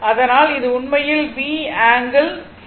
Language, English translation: Tamil, So, this is your actually V angle phi, right